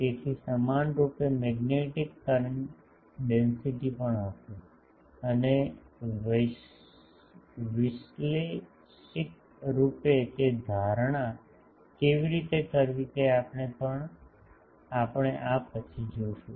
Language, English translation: Gujarati, So, equivalently there will be also magnetic current densities, and we will see just after this how to analytically make that assumption